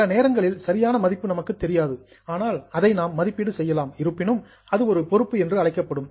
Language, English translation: Tamil, Sometimes you don't know exact value, but you can estimate the value, still it will be called as a liability